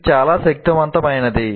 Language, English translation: Telugu, This can be very powerful